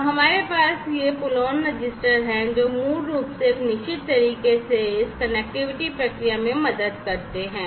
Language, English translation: Hindi, So, we have these pull on registers, which basically help in this connectivity process in a certain way